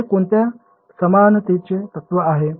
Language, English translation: Marathi, Which equivalence principle is this